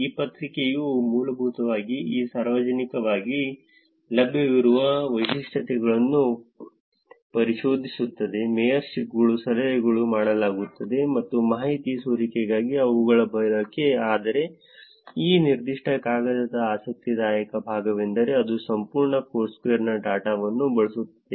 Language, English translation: Kannada, This paper basically explores these publicly available features – mayorships, tips, dones, and their usage for informational leakage, but interesting part of this particular paper is that it actually uses the data of entire Foursquare